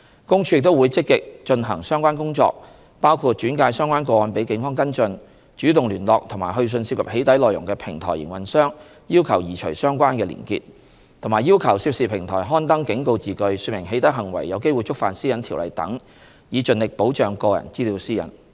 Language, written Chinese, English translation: Cantonese, 公署亦會積極進行相關工作，包括轉介相關個案予警方跟進、主動聯絡及去信涉及"起底"內容的平台營運商要求移除相關連結，以及要求涉事平台刊登警告字句說明"起底"行為有機會觸犯《私隱條例》等，以盡力保障個人資料私隱。, PCPD will actively pursue relevant work on safeguarding personal data privacy including the referral of relevant cases to the Police for follow - up proactive liaising and writing to operators of doxxing - related platforms to request the removal of relevant web links and issuance of warnings on the platforms to netizens that doxxing may violate PDPO